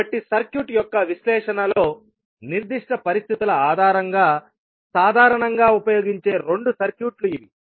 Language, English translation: Telugu, So, these are the two commonly used circuits based on the specific conditions in the analysis of circuit